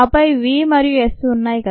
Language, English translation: Telugu, we have v and s